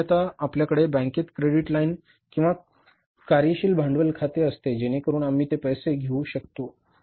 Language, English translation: Marathi, Normally we have a credit line or the working capital account with the bank